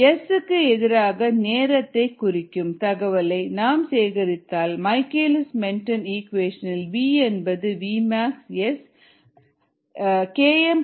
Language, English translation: Tamil, we collect s verses t data and if we do that, the michaelis menten equation is: v equals v mass s by k m plus s